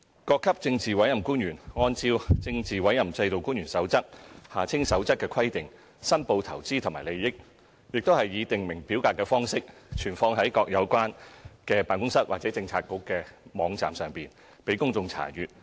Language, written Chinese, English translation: Cantonese, 各級政治委任官員按照《政治委任制度官員守則》的規定申報的投資和利益，亦以訂明表格的方式存放在各個有關的辦公室或政策局的網站上，供公眾查閱。, According to the requirements of the Code for Officials under the Political Appointment System the Code investments and interests declared by PAOs of all ranks in the prescribed form are made available on the websites of the respective officesbureaux for public inspection